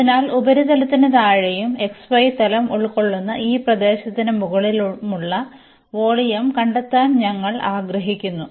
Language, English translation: Malayalam, So, we want to find the volume below the surface and over this enclosed area in the xy plane